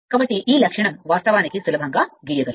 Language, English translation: Telugu, So, this characteristic, you can easily draw